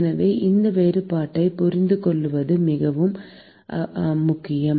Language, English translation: Tamil, So, it is very important to understand these distinctions